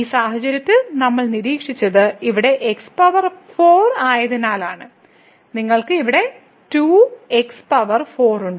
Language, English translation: Malayalam, So, in this case what we observed because here power 4 and then, you have 2 power 4 here